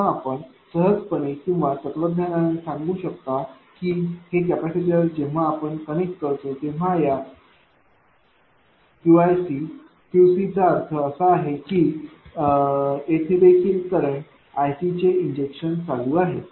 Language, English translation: Marathi, This capacity I mean institutively or philosophically you can tell this is capacitor when you connect it is Q i C, Q C means it is also injecting current here i C